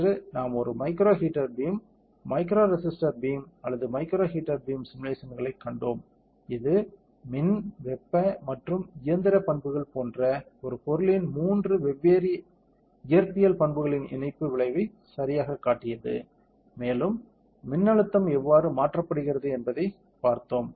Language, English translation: Tamil, Today we saw the simulation of a micro heater beam micro resister beam or micro heater beam, which showed you the coupling effect of three different physical properties of a material like electrical, thermal and mechanical properties correct, and seen how applying a electrical voltage changes the temperature across the material and also causes mechanical defamation